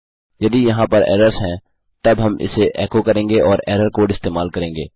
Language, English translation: Hindi, If there are errors, then well echo it out and use the error code